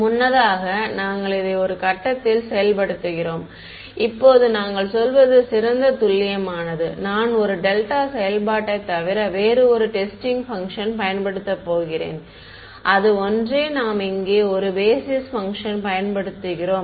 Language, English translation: Tamil, Previously, we were enforcing this at just one point; now, what we say is to get better accuracy I am going to use a testing function other than a delta function and that is the same as a basis function that we here